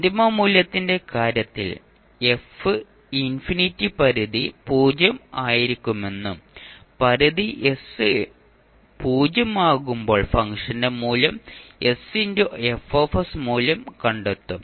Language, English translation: Malayalam, While in case of final value f infinity limit will tends to 0 and you will find the value of function s F s when limit s tends to 0